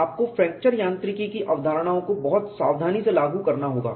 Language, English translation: Hindi, You have to apply fracture mechanic concepts very, very carefully